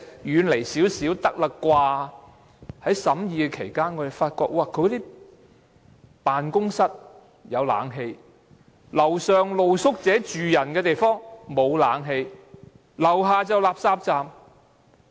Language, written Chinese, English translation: Cantonese, 在審議有關建議期間，我們發覺政府辦公室有冷氣，樓上是露宿者宿舍，沒有冷氣，樓下是垃圾站。, While we were examining the proposal we found that the Government offices were air - conditioned but not the street sleepers shelter on the upper floor and RCP on the lower floor